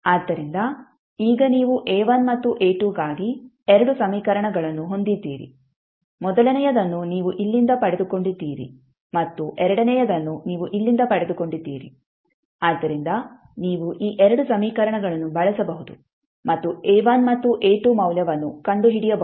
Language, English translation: Kannada, So, now you have 2 equations for A1 and A2 first you got from here and second you got from here, so you can use theseis 2 equations and find out the value of A1 and A2